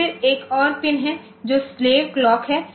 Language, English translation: Hindi, So, then there is another pin which is the slave clock